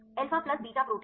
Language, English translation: Hindi, Alpha plus beta proteins